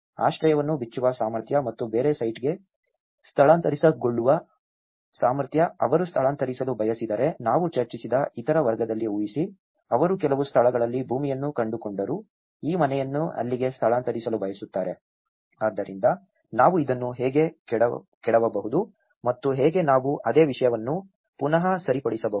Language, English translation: Kannada, Ability to disassemble the shelter and move to a different site, imagine in the other category which we discussed if they want to relocate, they found a land in some places, want to move this house there, so how we can actually dismantle this and how we can re fix the same thing